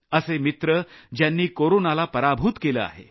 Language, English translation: Marathi, These are people who have defeated corona